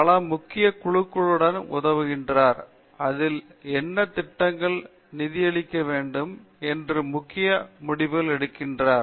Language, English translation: Tamil, He serves many important committees which make key decisions on you know what projects should be funded and so on